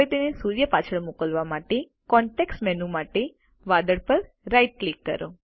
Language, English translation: Gujarati, To send it behind the sun, right click on the cloud for the context menu